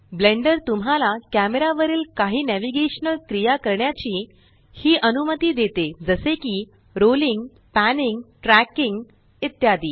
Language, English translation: Marathi, Blender also allows you to perform a few navigational actions on the camera, such as rolling, panning, tracking etc